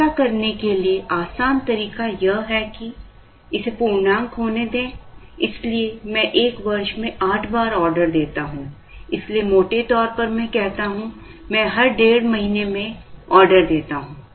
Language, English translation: Hindi, The easier thing to do is to assume that, let it be an integer, so I order 8 times in a year, so roughly I say, I order every one and a half months